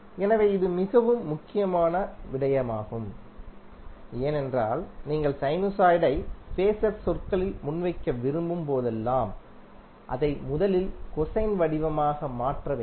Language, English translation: Tamil, So, this is also very important point because whenever you want to present phaser in present sinusoid in phaser terms, it has to be first converted into cosine form